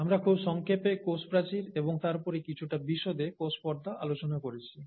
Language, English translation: Bengali, We very briefly looked at the cell wall and then we looked at the cell membrane in some detail